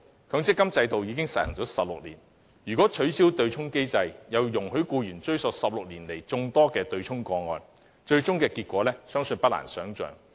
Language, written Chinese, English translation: Cantonese, 強積金制度已實施了16年，如果取消對沖機制，又容許僱員追討16年來眾多對沖個案的僱主強積金供款，結果相信不難想象。, Given that the MPF System has been implemented for 16 years should the offsetting mechanism be abolished and employees be allowed to recover the employers MPF contributions involved in many offsetting cases over the past 16 years I believe it is not difficult to imagine the outcome